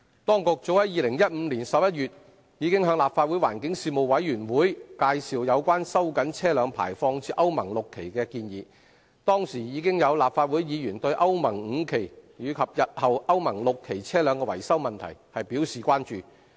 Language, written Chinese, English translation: Cantonese, 當局早於2015年11月已向立法會環境事務委員會委員介紹有關收緊車輛排放至歐盟 VI 期的建議，當時已有立法會議員對歐盟 V 期及日後歐盟 VI 期車輛的維修問題表示關注。, The Administration already introduced the proposal to tighten vehicle emission standards to Euro VI to members of the Panel on Environmental Affairs of the Legislative Council as early as in November 2015 . Back then Legislative Council Members already expressed concerns about the maintenance of Euro V and the future Euro VI vehicles